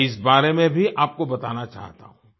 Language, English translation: Hindi, I want to tell you about this too